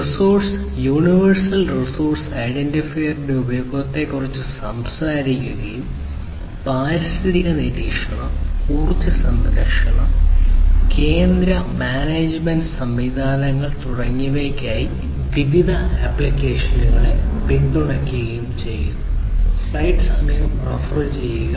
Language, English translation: Malayalam, It talks about the use of resource universal resource identifiers and supports different applications for environmental monitoring, energy saving, central management systems, and so on